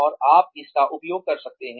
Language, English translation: Hindi, And, you can use that